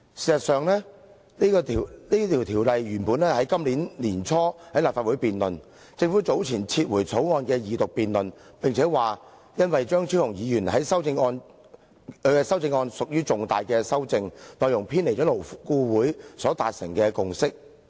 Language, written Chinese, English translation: Cantonese, 事實上，《條例草案》原訂於今年年初在立法會恢復二讀辯論，政府早前撤回《條例草案》，並且表示那是因為張超雄議員的修正案屬於重大修訂，內容偏離勞顧會所達成的共識。, In fact the Second Reading debate on the Bill was initially scheduled to resume in the Legislative Council at the beginning of this year . The Government withdrew the Bill earlier for the reason that Dr Fernando CHEUNG had proposed some major amendments which deviated from the consensus reached by LAB